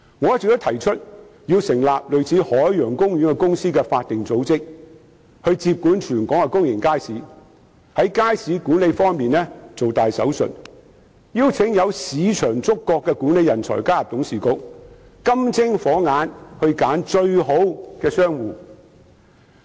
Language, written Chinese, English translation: Cantonese, 我一直建議成立一個類似海洋公園的法定組織，接管全港的公眾街市，在街市管理方面"做大手術"，邀請具有市場觸覺的管理人才加入董事局，以"金精火眼"挑選最好的商戶。, I have been proposing the setting up of a statutory body similar to the Ocean Park to take over the management of public markets across the territory perform major operations on market management and invite management talents with market sensitivity to join its board of directors so as to select the best shop operators with discerning eyes